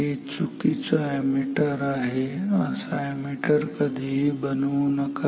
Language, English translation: Marathi, This is a wrong ammeter never make an ammeter like this